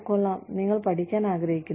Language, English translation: Malayalam, great, you want to learn